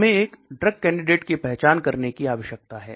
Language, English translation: Hindi, We need to identify a candidate